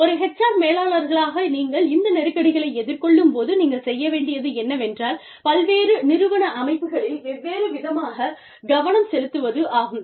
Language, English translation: Tamil, When, as HR managers, you face these tensions, what you can do is, allocate different poles of attention, across different organizational units